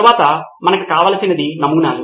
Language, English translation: Telugu, Next what we need are prototypes